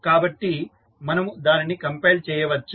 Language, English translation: Telugu, So, we can compile it